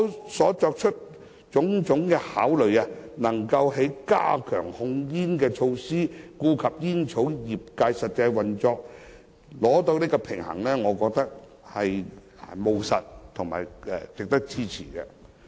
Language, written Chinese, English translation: Cantonese, 特區政府所作出的種種考慮，能夠在加強控煙措施與顧及煙草業界實際運作之間取得平衡，我認為是務實和值得支持的。, The considerations made by the Government can strike a balance between strengthening tobacco control measures and the practical operation of the tobacco industry . I find them pragmatic and worth supporting